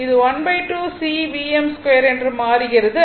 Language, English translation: Tamil, It will be half C V m square